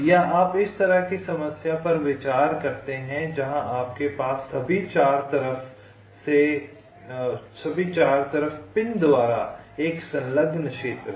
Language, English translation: Hindi, or you consider a problem like this where you have an enclosed region by pins on all four sides